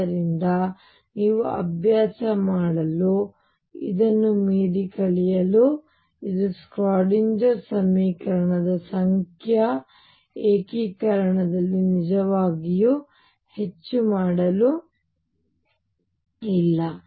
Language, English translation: Kannada, So, this is for you to practice and learn beyond this there is not really much to do in numerical integration of Schrödinger equation